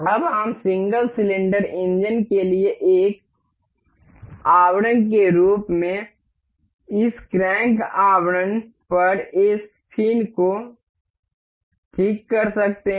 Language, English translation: Hindi, Now, we can fix this fin over this crank casing as a covering for the single cylinder engine